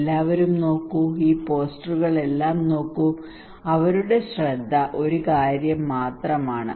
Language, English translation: Malayalam, well, look at everyone look at all these posters their focus is only one thing